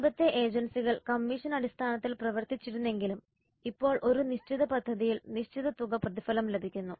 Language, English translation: Malayalam, Previous agencies worked on commission basis but now they get fixed amount of remuneration on a specific project